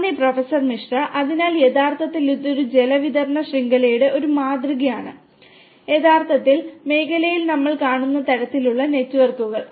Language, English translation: Malayalam, Thank you Professor Misra, So, actually this is a prototype of a water distribution network, the kind of networks that we see in the real field